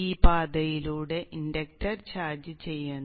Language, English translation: Malayalam, And this charges of the inductor